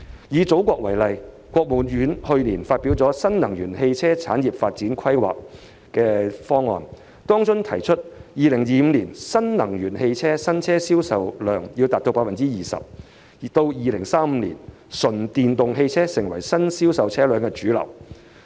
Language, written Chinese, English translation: Cantonese, 以祖國為例，國務院去年發表《新能源汽車產業發展規劃》，當中提出2025年新能源汽車新車銷售量要達到 20%，2035 年純電動汽車要成為新銷售車輛的主流。, Last year the State Council issued the Development Plan for New Energy Vehicle Industry 2021 - 2035 setting out the target of raising the ratio of new energy vehicles NEVs in new vehicles sale to 20 % by 2025 and making pure EVs the mainstream new vehicles in the market by 2035